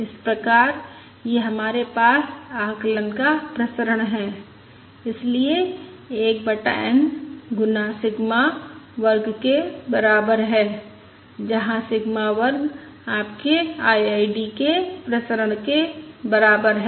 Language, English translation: Hindi, So this is the variance of the estimate and therefore we have variance of estimate equals 1 over n times sigma square, where sigma square equals your variance of the IID